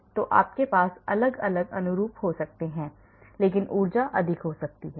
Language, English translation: Hindi, So, you may have different conformations, but the energies may be higher